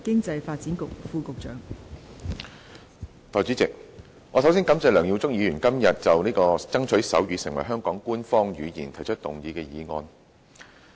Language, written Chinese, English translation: Cantonese, 代理主席，首先，我感謝梁耀忠議員今天就"爭取手語成為香港官方語言"提出議案。, Deputy President first of all I would like to thank Mr LEUNG Yiu - chung for moving the motion entitled Striving to make sign language an official language of Hong Kong today